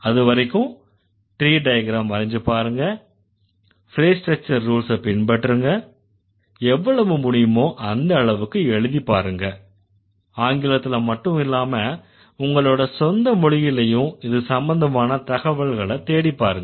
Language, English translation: Tamil, Until then, do draw the trees, follow the fresh structure rules, scribble as much as you can not only from English but also find out data from your own language